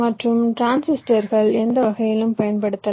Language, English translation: Tamil, but the transistors are not interconnected